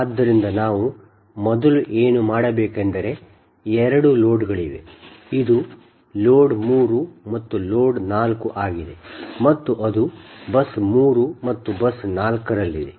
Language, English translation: Kannada, this is load three and load four, which is it, and that is at bus three and bus four